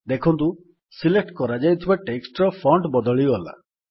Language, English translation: Odia, You see that the font of the selected text changes